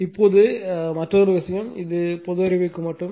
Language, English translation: Tamil, Now, then another thing this will not cover just for general knowledge